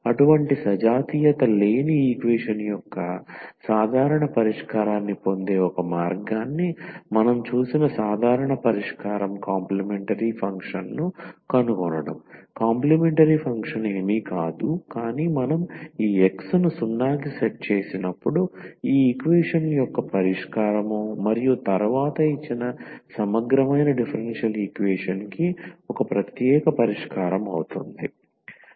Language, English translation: Telugu, And the general solution what we have seen the one way of getting the general solution of such a non homogeneous equation is to find the complimentary function; the complimentary function is nothing, but the solution of this equation when we set this X to 0 and then the particular integral that is one particular solution of this given non homogeneous differential equation